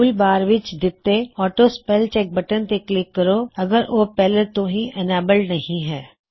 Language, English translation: Punjabi, So let us click on the AutoSpellCheck button in the toolbar if it is not enabled